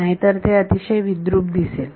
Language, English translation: Marathi, Otherwise, it will look very ugly